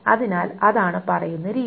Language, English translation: Malayalam, So that is the way of saying